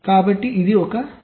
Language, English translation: Telugu, so this is one problem